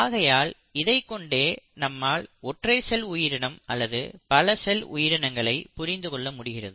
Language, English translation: Tamil, So this is what leads to what you understand as unicellular organism or a multicellular organism